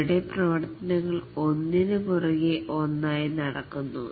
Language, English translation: Malayalam, Here the activities are carried out one after other